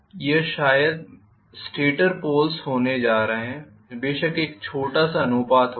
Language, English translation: Hindi, This is going to be probably my stator pole of course there will be a small proportion